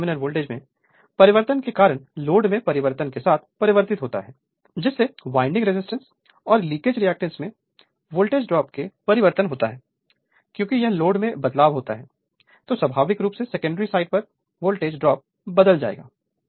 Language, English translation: Hindi, The secondary terminal voltage changes right with the change in the load due to the change in the voltage drop across the winding resistance and leakage reactance because, if the load changes, then naturally voltage drop on the secondary side will change so, the right